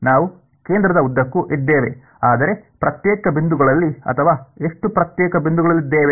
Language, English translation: Kannada, We are, along the center, but at discrete points or how many discrete points